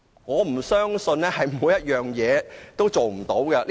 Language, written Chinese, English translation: Cantonese, 我不相信政府對有關要求也不能做到。, I cannot believe that the Government cannot accede to this request